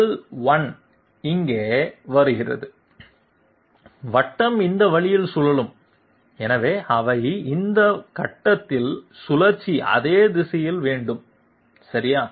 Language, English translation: Tamil, L1 comes here, the circle is rotating this way, so they have same direction of rotation at this point okay